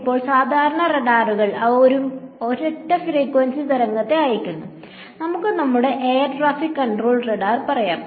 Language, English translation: Malayalam, Now, typically radars, they send a single frequency wave right its sending a single frequency, let us say our air traffic control radar